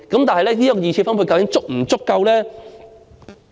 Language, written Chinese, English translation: Cantonese, 但是，這二次分配究竟是否足夠呢？, But is this secondary distribution adequate?